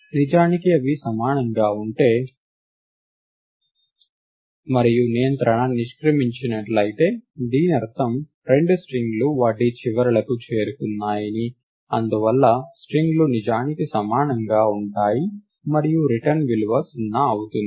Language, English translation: Telugu, Indeed if they are equal and the control is exited; it means that both the strings have come to the come to their ends, and therefore the strings are indeed equal and the return value would be 0